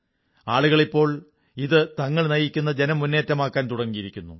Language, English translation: Malayalam, People now have begun to take it as a movement of their own